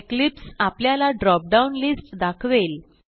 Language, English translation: Marathi, Notice that Eclipse displays a drop down list